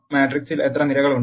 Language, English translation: Malayalam, How many columns are in the matrix